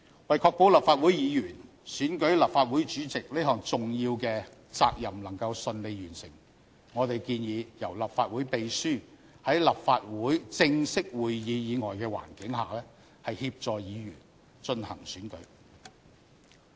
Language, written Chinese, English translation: Cantonese, 為確保立法會議員選舉立法會主席這項重要的責任能夠順利完成，我們建議由立法會秘書在立法會正式會議以外的環境下協助議員進行選舉。, And in order to ensure the smooth discharge of Members important duty to elect the President of the Legislative Council we propose that the Clerk to the Legislative Council is to assist Members in conducting the election on occasions other than formal meetings of the Council